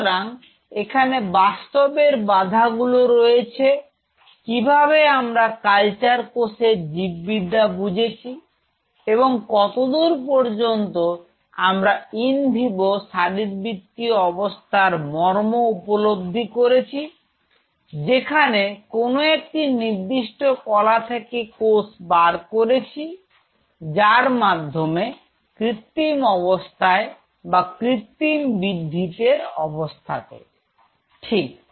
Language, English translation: Bengali, So, there comes the real challenge how much you have understood the biology of the cell of the cultured cell and how much we have appreciated the in vivo physiology of that particular tissue from where you have derived the cell sample in order to create an artificial condition artificial or synthetic growing condition, fine